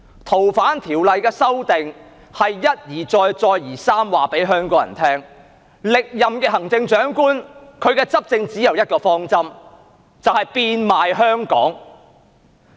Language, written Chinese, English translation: Cantonese, 《逃犯條例》的修訂，是一而再、再而三地告訴香港人，歷任行政長官的執政只有一個方針，就是變賣香港。, The amendment of the Fugitive Offenders Ordinance FOO is tantamount to telling Hong Kong people time and again that under the reigns of former and incumbent Chief Executives there is only one policy that is to sell out Hong Kong